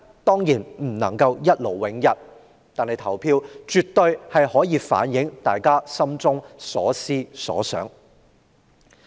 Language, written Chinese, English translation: Cantonese, 當然不能一勞永逸，但投票卻可反映市民心中所思所想。, Of course not . Voting is not a once - and - for - all solution but it can reflect peoples views